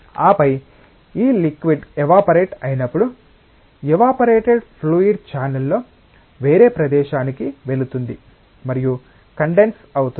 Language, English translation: Telugu, And then the when this liquid gets evaporated the evaporated fluid moves to a different place in the channel and can get condensed